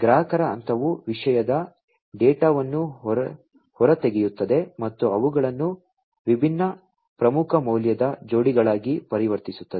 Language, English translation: Kannada, The consumer phase extracts the topic data and converts them into different key value pairs